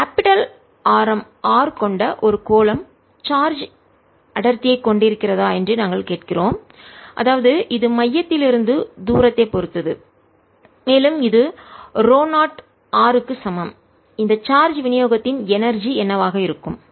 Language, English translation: Tamil, next, question, number four: we are asking: if a sphere of capital radius r has a charge density which depends on the rate distance from the centre and is equal to rho, zero r, then what will be the energy of this charge distribution